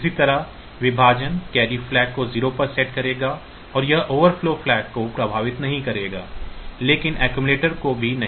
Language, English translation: Hindi, Similarly division so, this will set the carry flag to 0 and it will not affect the it will affect the overflow, but not the accumulator then SETB carry